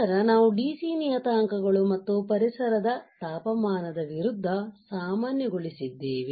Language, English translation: Kannada, Then we have normalized DC Parameters versus ambient temperature